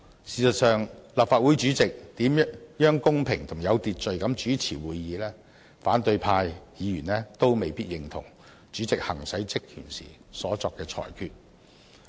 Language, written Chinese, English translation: Cantonese, 事實上，無論立法會主席如何公平及有秩序地主持會議，反對派議員都未必認同主席行使職權時所作的裁決。, In fact no matter how the President conducts meetings in a fair and orderly manner opposition Members may not agree with the rulings made by the President in exercising his powers and functions